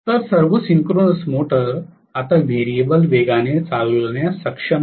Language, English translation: Marathi, So, all the synchronous motors are now able to run at variable speed